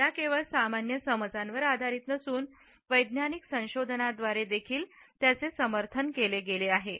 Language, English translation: Marathi, These are based not only on common perceptions, but they have also been supported by scientific researches